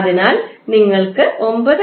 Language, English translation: Malayalam, So, you will get 9